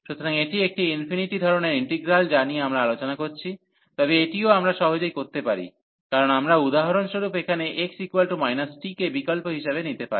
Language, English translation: Bengali, So, this a to infinity type of integrals we are discussing, but this also we can easily b, because we can substitute for example here x is equal to minus t